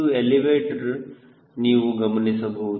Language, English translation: Kannada, you see, this is the elevator